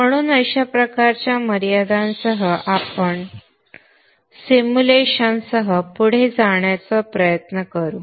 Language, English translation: Marathi, So with this kind of a limitation you try to go ahead with the simulation